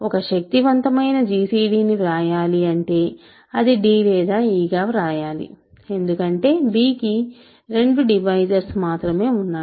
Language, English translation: Telugu, gcd, if a potential gcd I should write, a potential gcd is either d or e because b has only 2 divisors really